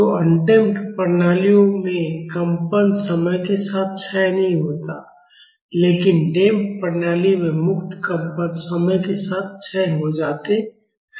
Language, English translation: Hindi, So, in undamped systems, the vibration does not decay with time; but in damped systems, the free vibrations decay with time